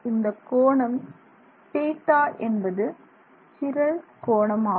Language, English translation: Tamil, The angle is the chiral angle